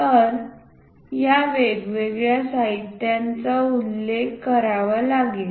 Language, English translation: Marathi, So, these different materials has to be mentioned